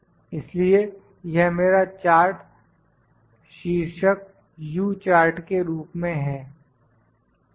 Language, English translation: Hindi, So, this is my if it is chart title, this is my U chart, ok